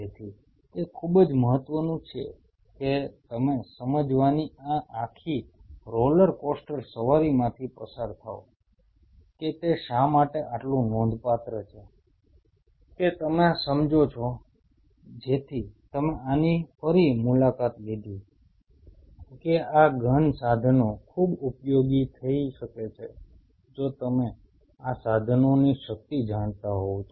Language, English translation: Gujarati, So, it is very important that you go through this whole roller coaster ride of understanding that why it is so significant, that you understand that is why I kind of you know revisited this that these profound tools can come very handy provided you know the power of these tools